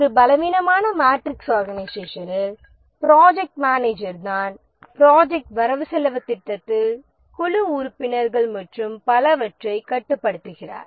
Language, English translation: Tamil, In a weak matrix organization, it is the project manager who has more control over the project budget, over the team members, and so on